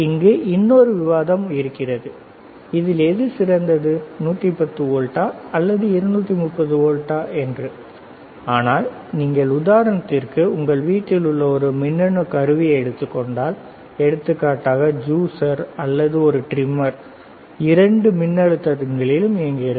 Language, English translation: Tamil, So, the point is that that is also another topic that which one is better 110 is better 230 volts is better, but if you if you take a example of a electronic equipment at our home, for example, juicer or a trimmer, it can operate on both the voltages